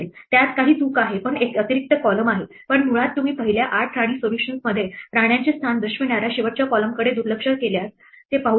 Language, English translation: Marathi, There is some mistake in that, but there is an extra column, but basically you can see that if you ignore the last column which is showing the position of the queens in the first 8 queen solution